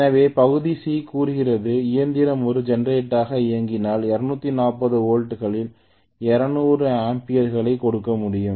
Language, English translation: Tamil, So part C says, if the machine is run as a generator to give 200 amperes at 240 volts